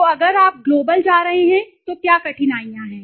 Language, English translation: Hindi, So if you are going global what are the difficulties